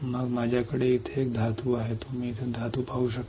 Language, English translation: Marathi, Then I have a metal here, you can see the metal here